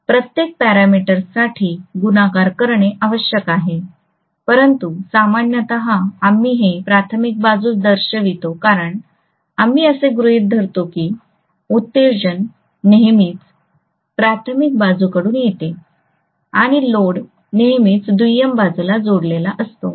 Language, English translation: Marathi, N2 by N1 the whole square has to be multiplied for each of the parameters, but normally we show it on the primary side because of the fact that we assume that excitation is always coming from the primary side and the load is always connected on the secondary side